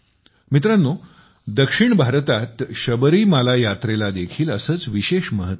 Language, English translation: Marathi, Friends, the Sabarimala Yatra has the same importance in the South